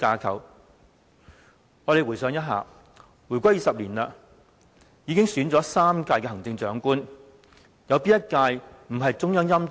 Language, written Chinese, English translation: Cantonese, 大家回想一下，回歸20年，已選出3屆行政長官，哪一屆不是中央欽點？, In the 20 years after the reunification three Chief Executives have been elected which one was not hand - picked by the Central Authorities?